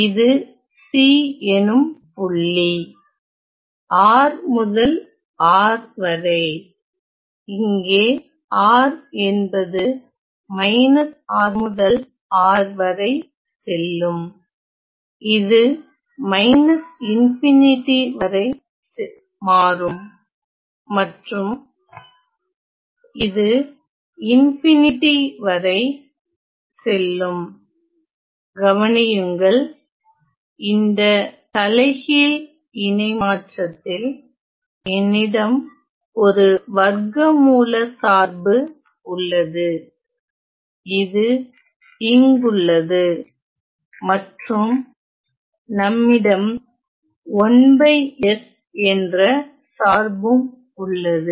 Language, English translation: Tamil, So, this is the point c and this is, from point R to R where, R goes from negative R to R where this, goes to minus infinity and this goes to infinity and notice that, in this inverse transform I have a square root function, which is sitting and also that we have 1 by s function, which is in the